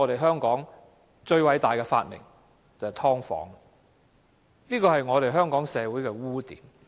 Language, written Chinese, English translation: Cantonese, 香港最偉大的發明便是"劏房"，這個也是香港社會的污點。, Subdivided unit is indeed our great invention but it is also a stain on Hong Kong